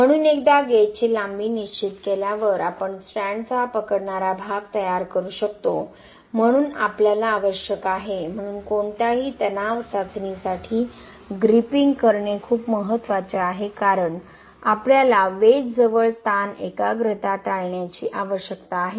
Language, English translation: Marathi, So once the gauge length is fixed we can prepare the gripping portion of the strand, so we need to, so for any tension test gripping is very important because we need to avoid stress concentration near the wedges